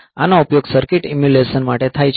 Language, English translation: Gujarati, So, this is used for in circuit emulation